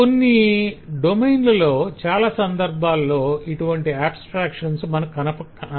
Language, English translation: Telugu, but in some domains, in many times, we will see that the abstractions do not offer that